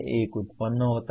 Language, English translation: Hindi, One is generate